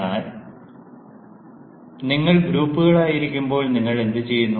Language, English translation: Malayalam, but when you are in groups, what do you do